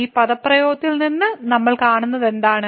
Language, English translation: Malayalam, So, out of this expression what we see